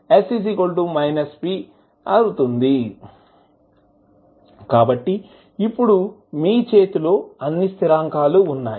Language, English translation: Telugu, So, now you have all the constants in your hand